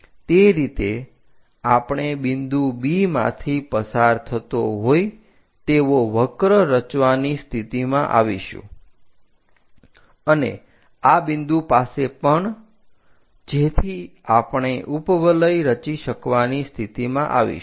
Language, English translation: Gujarati, In that way, we will be in a position to construct all that curve which pass through B point and also at this point, so that we will be in a position to connects construct ellipse